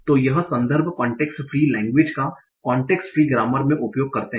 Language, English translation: Hindi, So this is context for context free languages by using the context free grammar